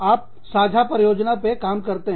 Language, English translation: Hindi, You work on a common project